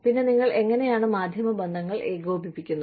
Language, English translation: Malayalam, Then, how do you coordinate, media relations